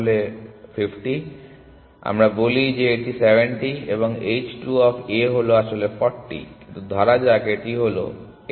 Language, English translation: Bengali, So, let us say this is 70 and h 2 of A is actually 40, but let us say it is 80